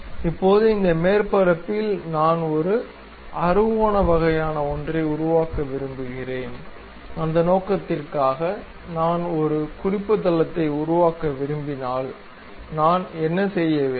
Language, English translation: Tamil, Now, on this surface I would like to construct another hexagon kind of thing inclinely passing through that; for that purpose if I would like to construct a reference plane, what I have to do